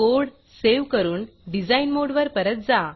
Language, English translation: Marathi, Now Save the code and go back to design mode